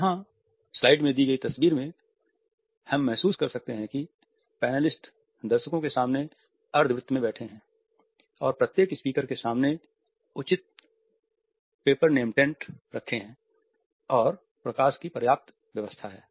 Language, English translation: Hindi, Here in the given picture we can feel that panelist are seated in a semicircle in front of the audience and then at the same time there are proper paper name tents in front of each speaker and the lighting is also adequately bright